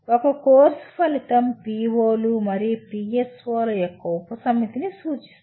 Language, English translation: Telugu, A course outcome addresses a subset of POs and PSOs